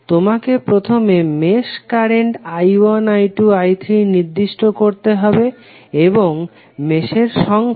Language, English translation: Bengali, You have to assign first mesh currents I1, I2, I3 and so on for number of meshes